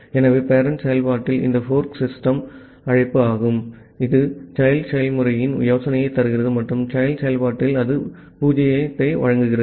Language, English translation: Tamil, So, this fork system call at the parent process, it returns the idea of the child process and at the child process it returns 0